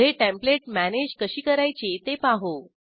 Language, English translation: Marathi, Next, lets learn how to manage Templates